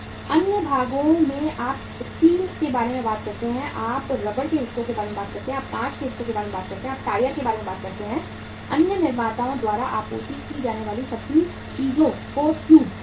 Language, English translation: Hindi, Other parts you talk about the steel, you talk about the rubber parts, you talk about the glass part, you talk about the say tyres, tubes everything they are they are supplied by the other manufacturers